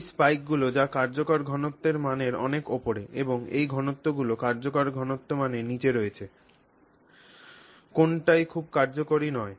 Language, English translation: Bengali, So, these spikes which are well above the concentration value and these lows which are going below the concentration value are not very useful